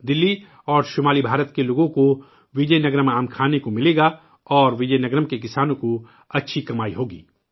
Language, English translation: Urdu, The people of Delhi and North India will get to eat Vizianagaram mangoes, and the farmers of Vizianagaram will earn well